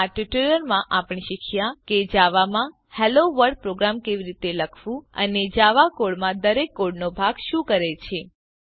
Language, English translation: Gujarati, In this tutorial we have learnt, how to write a HelloWorld program in java and also what each part of code does in java code